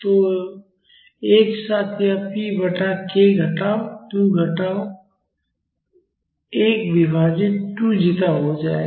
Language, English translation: Hindi, So, together this will become p naught by k minus 2 minus 1 divided by 2 zeta